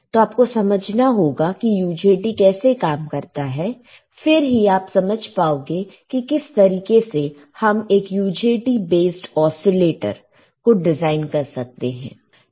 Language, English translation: Hindi, So, you have to understand how the UJT works, then only you will be able to understand how you can how you can design an UJT base oscillator